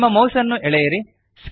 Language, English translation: Kannada, Drag your mouse